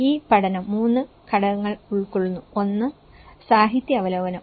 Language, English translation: Malayalam, This study has composed of 3 components; one is the literature review